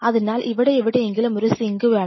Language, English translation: Malayalam, So, you probably want you have a sink somewhere out here